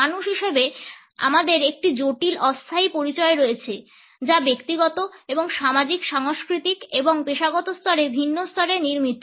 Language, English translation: Bengali, As human beings we have a complex temporal identity, which is constructed at different levels at personal as well as social, cultural and professional levels